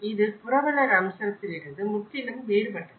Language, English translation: Tamil, It is completely different from the host aspect of it